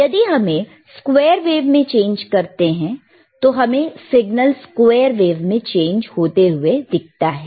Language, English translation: Hindi, If we change the square wave we can see change in signal to square wave